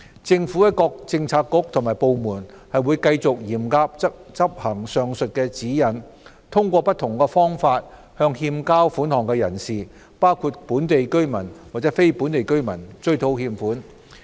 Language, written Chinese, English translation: Cantonese, 政府各政策局和部門會繼續嚴格執行上述指引，通過不同方法向欠交款項人士，包括本地居民和非本地居民，追討欠款。, Government bureaux and departments will continue to strictly adhere to the above guidelines and recover by different means the receivables from defaulters including local and non - local residents